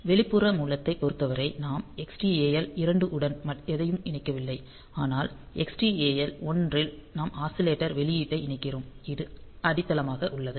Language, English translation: Tamil, So, for external source, in that case we do not connect anything to the Xtal 2, but in Xtal 1 we connect the oscillator output and this is grounded